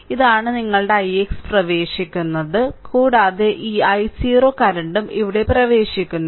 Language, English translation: Malayalam, So, this is your i x entering into and this i 0 current also entering here right